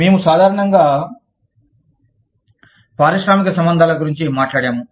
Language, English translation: Telugu, We have talked about, industrial relations, in general